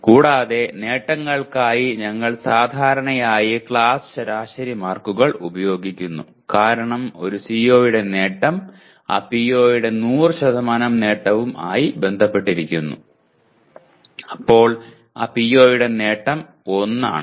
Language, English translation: Malayalam, And attainments generally we are using class average marks as the attainment of a CO associated with that PO is 100% then the attainment of PO is 1